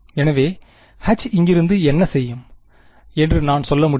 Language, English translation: Tamil, So, from here, I can say that what will H be